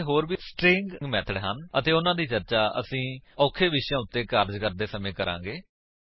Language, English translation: Punjabi, There are more String methods and well discuss them as we move on to complex topics